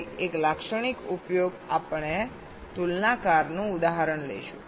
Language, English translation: Gujarati, we shall be taking a example of a comparator